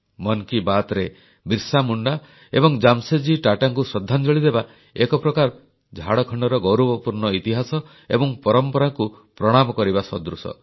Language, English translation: Odia, Paying tributes to BirsaMunda and Jamsetji Tata is, in a way, salutation to the glorious legacy and history of Jharkhand